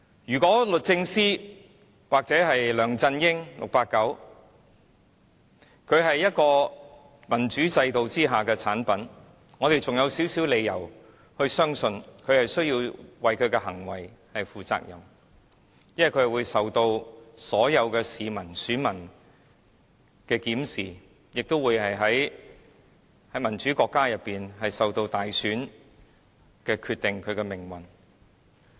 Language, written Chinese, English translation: Cantonese, 如果律政司或 "689" 梁振英是民主制度下的產物，我們還有少許理由相信他需要為其行為負責，因為他會受到所有市民、選民的檢視，亦會像民主國家般由大選決定其命運。, If the Department of Justice or 689 LEUNG Chun - ying is from a democratic system we will still have some reasons to believe that they would be held responsible for what they have done since they will be subjected to the supervision of the public and the voters and their fate will be determined by a general election as in all democratic countries